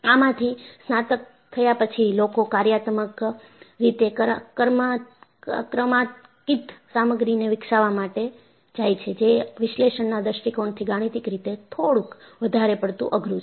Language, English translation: Gujarati, After the graduation from this, people went in for developing functionally greater material, which is little more mathematically challenging, from the point of view of analysis